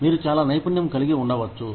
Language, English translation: Telugu, You may be very skilled